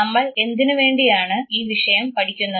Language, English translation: Malayalam, Why should one study this subject